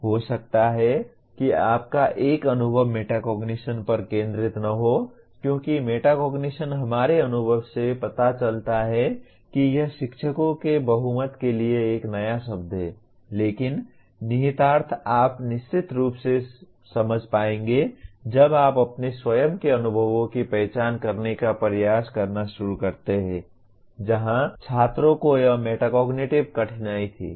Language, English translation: Hindi, One your experience may not be focused on metacognition because metacognition our experience shows that it is a new word to majority of the teachers but the implication you will certainly understand when you start attempting to identify your own experiences where students had this metacognitive difficulties